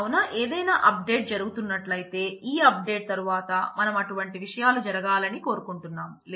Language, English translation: Telugu, So, if something some update is happening, so I can say that after this update, I want such and such things to happen